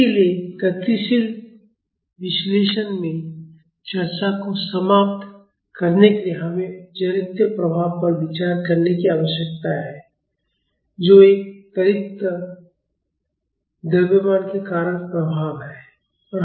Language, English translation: Hindi, So, to conclude the discussion in dynamic analysis, we need to consider the inertial effect that is the effect due to an accelerating mass